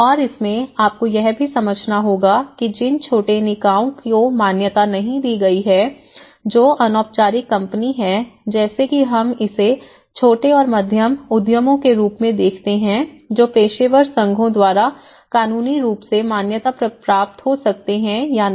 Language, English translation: Hindi, And in this, you one has to also understand that the small bodies which may not have been recognized, which has about a informal companies like we call it as small and medium enterprises which may or may not legally recognized by the professional associations